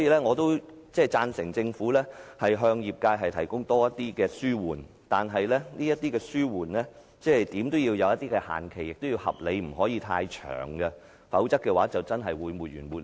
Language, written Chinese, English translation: Cantonese, 我贊成政府向業界提供更多紓緩措施，但這些紓緩措施怎樣也要設定限期，亦要合理，不能太長，否則，便真的會沒完沒了。, I agree that the Government should provide the industry with more relief measures but a deadline should be set for these relief measures after all . It should be reasonable and cannot be too long . Otherwise it will really go on without end